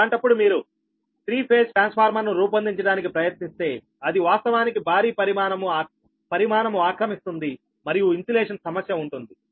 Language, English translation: Telugu, in that case, if you try to design a three phase transformer then it occupies actually a huge volume and insu insulation problem also right